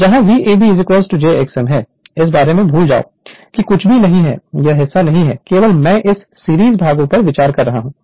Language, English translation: Hindi, Where v a b is equal to is equal to this is my j x m forget about this one nothing is there this part is not there only I am considering these series part right